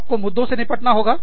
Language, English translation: Hindi, You have to deal with issues